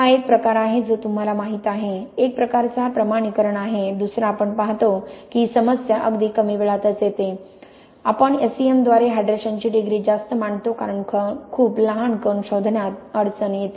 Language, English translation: Marathi, It is kind of a you know, one is kind of validates the other we see that the problem comes at early ages at very early ages we tend to overestimate the degree of hydration by S E M because of the difficulty of detecting very small grains